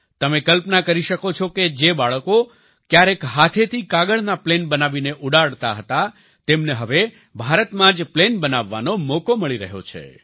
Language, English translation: Gujarati, You can imagine the children who once made paper airplanes and used to fly them with their hands are now getting a chance to make airplanes in India itself